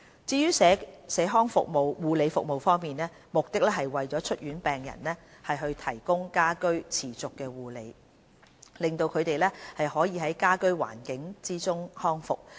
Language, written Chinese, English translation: Cantonese, 至於社康護理服務方面，目的是為出院病人提供家居持續護理，令他們可以在家居環境中康復。, The objective of the community nursing services is to provide continuous nursing care for discharged patients in their own homes to facilitate their recovery in the home environment